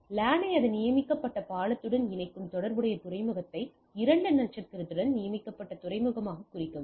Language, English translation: Tamil, So, the mark the corresponding port that connects the LAN to its designated bridge as designated port right with a two star